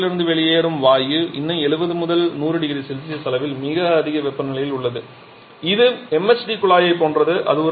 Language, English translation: Tamil, And from the anode the exhaust gas that comes out that is still at very high temperature in the level of 70, 100 degree Celsius quite similar to the MHD deduct